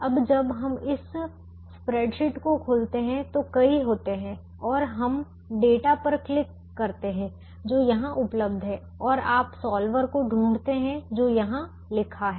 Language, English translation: Hindi, now, when we open this spreadsheet, there are several ah and we can go to click on data that is available here and you you find the solver that is written here